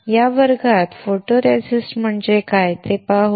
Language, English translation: Marathi, In this class, we will see what a photoresist is